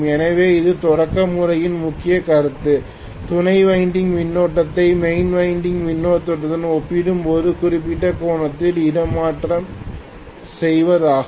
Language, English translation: Tamil, So the starting method, the major concept of the starting method is to displace the current in the auxiliary winding by certain angle as compared to the main winding current, right